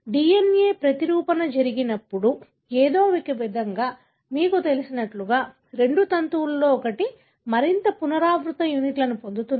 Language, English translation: Telugu, When the DNA replication takes place, somehow, you know, one of the two strands gain more repeat units and so on